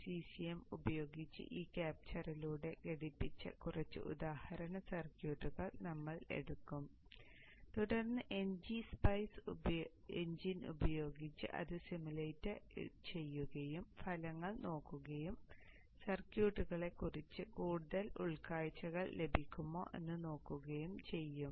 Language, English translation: Malayalam, We will take a few examples circuits, put it through the schematic capture using G shem, and then use the NG Spice engine to simulate it and look at the results and see we can get more insights into the circuits